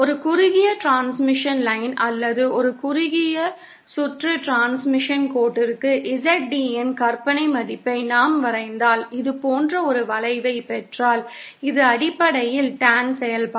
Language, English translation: Tamil, For a shorted transmission line or a short circuited transmission line, if we plot the imaginary value of ZD and we get a curve like this, which is basically the Tan function